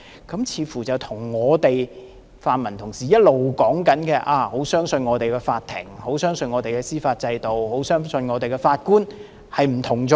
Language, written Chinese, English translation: Cantonese, 這似乎跟泛民同事一直說很相信我們的法庭，很相信我們的司法制度，很相信我們的法官背道而馳。, This view seems to run counter to the remarks made by the pan - democrats all along that they have great confidence in our courts in our judicial system and in our judges